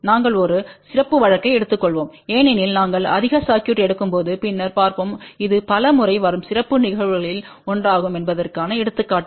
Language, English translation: Tamil, We will take one of the special case as we will see later on when we take on more circuit examples that this will be a 1 of the special cases which will come several time